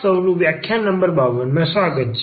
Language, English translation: Gujarati, So, welcome back and this is lecture number 52